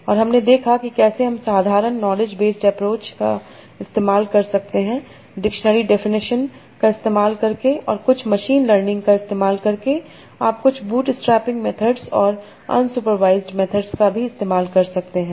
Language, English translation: Hindi, And we saw that how you can use simple knowledge based approaches by using the dictionary definitions and you can use some machine learning methods, you can use some bootstabbing based methods and also unsupervised methods